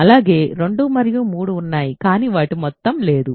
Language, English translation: Telugu, So, 2 and 3 are there, but their sum is not there